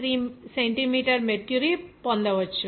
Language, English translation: Telugu, 3 centimeter mercury